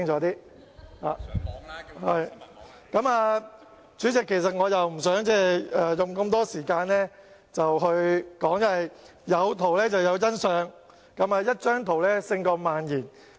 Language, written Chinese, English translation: Cantonese, 代理主席，我不想花太長時間發言，因為"有圖有真相"，一幅圖片勝萬言。, Deputy President I do not want to spend too much time speaking because the picture tells the truth and is worth a thousand words